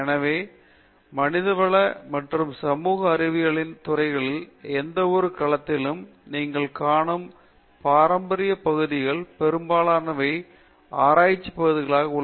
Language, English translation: Tamil, So, most of the traditional areas in that you find in any domain of humanities and social sciences are covered, as research area in the department